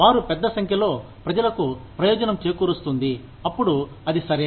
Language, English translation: Telugu, If they are benefiting, a larger number of people, then, it is okay